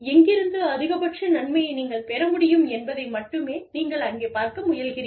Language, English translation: Tamil, You are only trying to see, where you can derive, the maximum benefit from